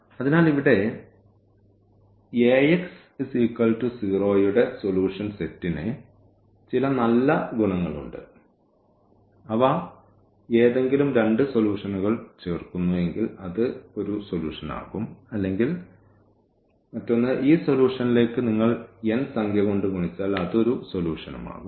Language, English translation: Malayalam, So, this solution set here of Ax is equal to 0, has some nice properties like you add any two solution that will be also solution or you multiply by n number to this solution that will be also a solution